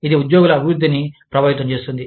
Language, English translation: Telugu, It can affect, employee development